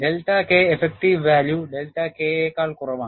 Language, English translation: Malayalam, The delta K effective value is less than delta K